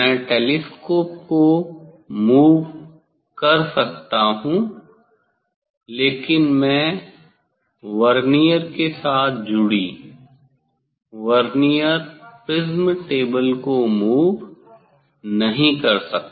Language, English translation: Hindi, I can move telescope, but I cannot move the Vernier prism table attached with Vernier